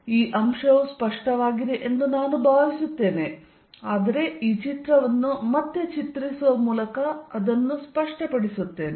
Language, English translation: Kannada, So, I hope this point is clear, but let me make it clear by drawing this picture again